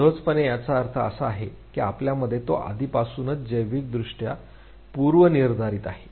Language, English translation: Marathi, Instinctively means it is already biologically predisposed in you